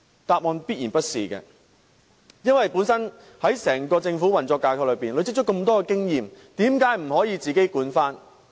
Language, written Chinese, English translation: Cantonese, 答案必然是否定的，因為在整個政府運作架構內，政府累積了這麼多經驗，為甚麼不可以自己管理？, The answer is definitely in the negative because the Government has accumulated so much experience within its entire operational framework . Why can it not manage the services itself?